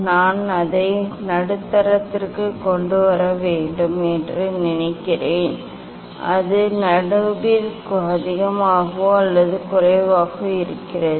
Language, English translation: Tamil, I think I have to bring it middle it is more or less in middle